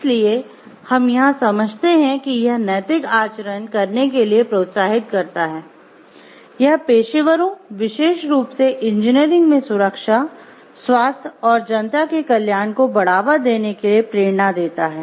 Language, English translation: Hindi, So, what we understand from here like the it provides a stimulation for ethical conduct, it gives an inspiration for the professionals in a particular profession to specially in engineering to promote the safety health and welfare of the public